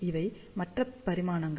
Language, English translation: Tamil, These are the other dimensions